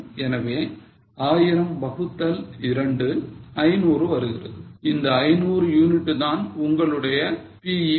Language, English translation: Tamil, So, $1,000 upon 2, that means 500 units becomes your BEP